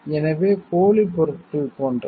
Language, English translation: Tamil, So, like fake products